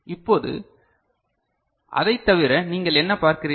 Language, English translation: Tamil, Now, other than that what you can see